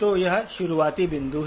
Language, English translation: Hindi, So this is the starting point